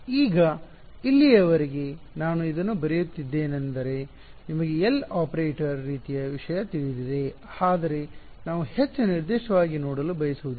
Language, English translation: Kannada, Now, so far I have been writing this is as a very abstract you know L operator kind of thing, but we will not want to see something more concrete